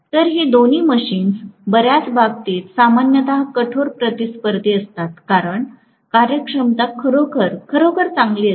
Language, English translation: Marathi, So, both these machines are generally tough competitors in many cases because the efficiency is really, really better